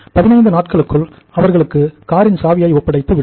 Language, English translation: Tamil, And within 15 days we will hand him over hand him over the keys of the car